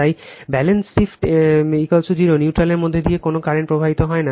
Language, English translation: Bengali, So, therefore, balance shift in is equal to 0, no current is flowing through the neutral right